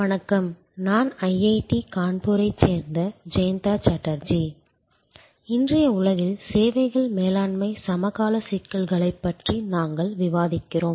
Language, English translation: Tamil, Hello, I am Jayanta Chatterjee from IIT Kanpur and we are discussing services management contemporary issues in today's world